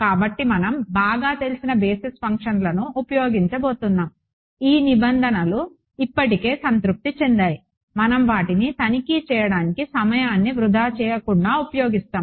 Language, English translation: Telugu, So, we are going to use well known basis functions, these requirements have already been satisfied we will not waste time in trying to check them, we will just use them